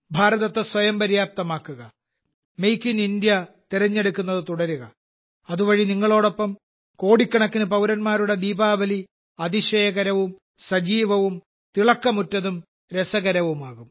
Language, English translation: Malayalam, Make India selfreliant, keep choosing 'Make in India', so that the Diwali of crores of countrymen along with you becomes wonderful, lively, radiant and interesting